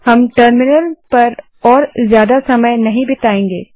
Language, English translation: Hindi, We will not spend any more time with the terminal now